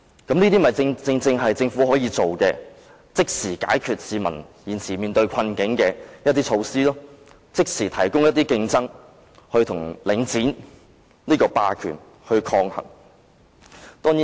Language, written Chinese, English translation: Cantonese, 這正正是政府可以做的事情，是可以即時解決市民現時面對的困境的措施，可即時促進競爭，與領展這個霸權抗衡。, This is exactly what the Government can do . It is a measure which can immediately resolve the plight now faced by members of the public and instantly foster competition to counteract the hegemony of Link REIT